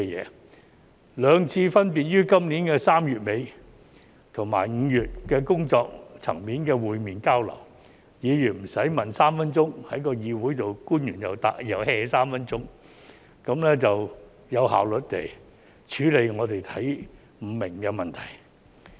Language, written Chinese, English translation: Cantonese, 在兩次分別於今年3月底和5月工作層面上的會面交流期間，議員不用在議會提問3分鐘，官員又 "hea"3 分鐘，得以有效率地處理我們看不懂的問題。, During the two meetings on working level held respectively in late March and May this year Members did not need to raise questions for three minutes in the Council and officials did not need to brush Members off for another three minutes so that we could efficiently deal with the issues that we did not understand